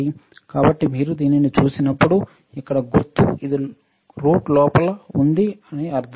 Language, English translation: Telugu, So, when you see this symbol here right this is under root